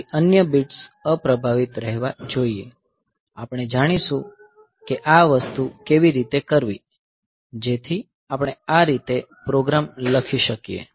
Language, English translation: Gujarati, So, other bit should remain unaffected, so we will how to do this thing, so we can write the program like this say